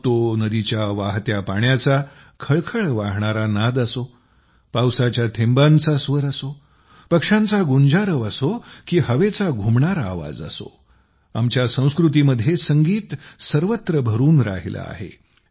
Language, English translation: Marathi, Be it the murmur of a river, the raindrops, the chirping of birds or the resonating sound of the wind, music is present everywhere in our civilization